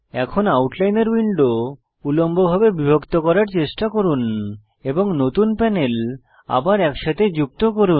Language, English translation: Bengali, Now, try to divide the Outliner window vertically and merge the new panels back together again